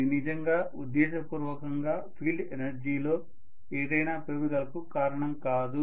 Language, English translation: Telugu, It is not really going to cause specifically intentionally any increase in field energy at all